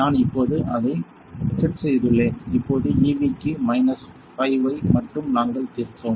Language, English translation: Tamil, I have a set it now; now for EV; we settled down minus 5 like that I only from a